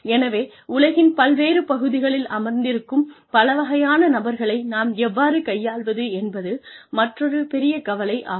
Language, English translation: Tamil, So, how do we deal with a variety of people, who are sitting in different parts of the world